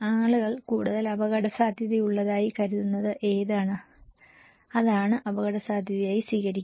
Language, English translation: Malayalam, Which one you think people considered more risky, accept as risk